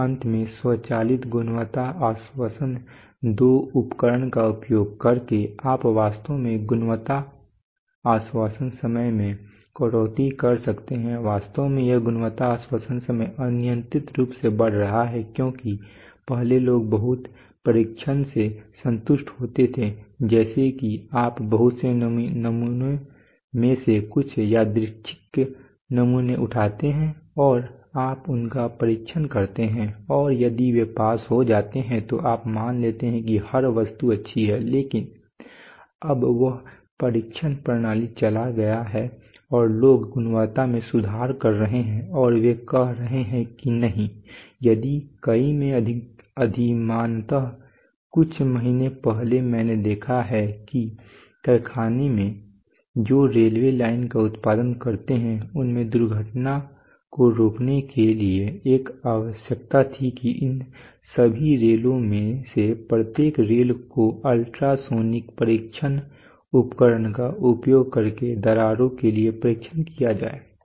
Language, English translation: Hindi, And finally using automated Quality Assurance II equipment you can really cut down on quality assurance time actually this this quality assurance time is actually growing up like anything because previously people used to be satisfied with you know lot by lot testing that is you pick up some random samples from a lot and you test them and and if they pass you assume you assume that the lot is every item in the lot is good but now that is gone and people are enhancing on quality and they are saying that no, if preferably in many application like let us say few months back I have seen that factories which produce railway lines, they there was a there was a requirement for preventing accidents that of all these rails each and every rail be tested for cracks using ultrasonic testing test equipment